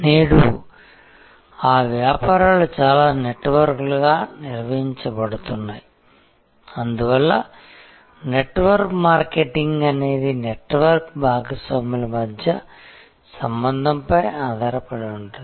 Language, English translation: Telugu, So, today many of these businesses are performed as networks and therefore, network marketing is based on a relationship among the network partners